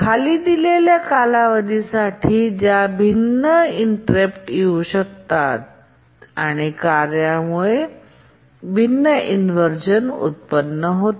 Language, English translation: Marathi, Now let's see what are the durations for which the different inversions can occur and the tasks due to which the different inversions can occur